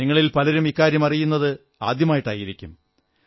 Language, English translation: Malayalam, Many of you may be getting to know this for the first time